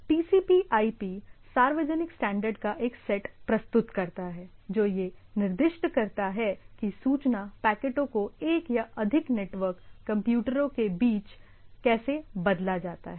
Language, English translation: Hindi, TCP/IP presents a set of public standards that specify how packets of information are exchanged between the computer of one or more networks right